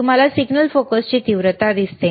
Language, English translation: Marathi, You see intensity of the signal focus